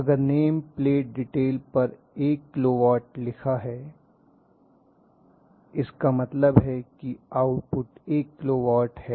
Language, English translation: Hindi, In the name plate detail is going to say1 kilo watt that means this is output is 1 kilo watt